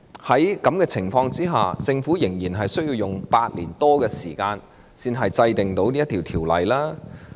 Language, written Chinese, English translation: Cantonese, 在這情況下，政府為甚麼仍需要花8年多才能制定《條例草案》呢？, Under such circumstances why did the Government still take over eight years to draft the Bill?